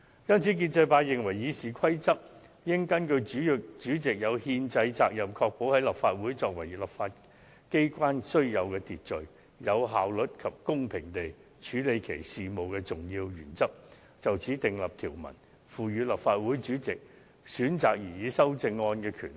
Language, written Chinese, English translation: Cantonese, 因此，建制派認為《議事規則》應根據主席有憲制責任確保立法會按照其作為立法機關須有秩序、有效率及公平地處理其事務的重要原則訂立條文，賦予立法會主席選擇擬議修正案的權力。, Therefore the pro - establishment camp opines that there should be provisions in the RoP made in accordance with a crucial principle that the President is under a constitutional duty to ensure the orderly efficient and fair conduct of business by the Legislative Council on the one hand and that the President should be given the power to select amendments on the other